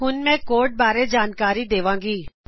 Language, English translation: Punjabi, I will explain the code now